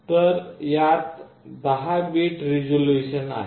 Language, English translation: Marathi, So, this has 10 bit resolution